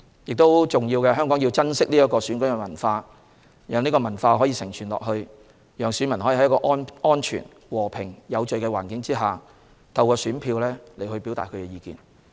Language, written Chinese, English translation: Cantonese, 最重要的是，香港必須珍惜這種選舉文化，讓這種文化得以承傳，讓選民可以在安全、和平、有序的環境下，透過選票表達意見。, Most important of all Hong Kong must cherish this election culture and pass it on so that electors can express their opinions through voting in a safe peaceful and orderly environment